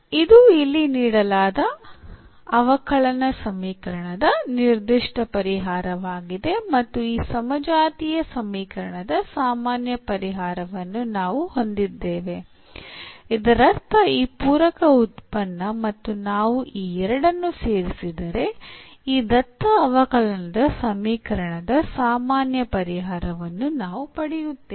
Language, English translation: Kannada, So, this is a particular integral, it is a particular solution of the given differential equation here and we have the general solution of this homogeneous equation; that means, this complementary function and if we add the two so, we get this general solution of this given differential equation